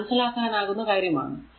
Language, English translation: Malayalam, So, it is understandable to you, right